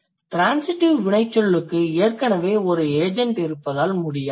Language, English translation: Tamil, Why you can't because the the transitive verb already has an agent